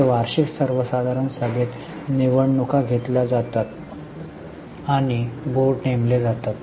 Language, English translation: Marathi, So, in the annual general meeting elections are held and board is appointed